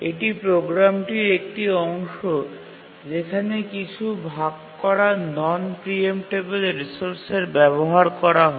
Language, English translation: Bengali, It's a part of the program in which some shared non preemptible resource is accessed